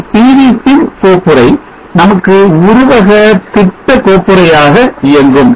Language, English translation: Tamil, Now we see that in the pv sim folder the schematic file P V